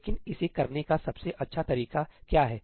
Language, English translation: Hindi, But what is the best way of doing it